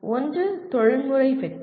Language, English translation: Tamil, One is professional success